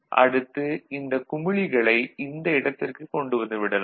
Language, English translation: Tamil, So, now, these bubbles over here can be brought to this place, ok